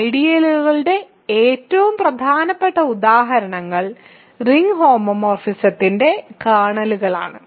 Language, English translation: Malayalam, So, the most important examples of ideals are the kernels of ring homomorphisms ok